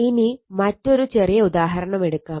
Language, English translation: Malayalam, Ok, so will take a small example of that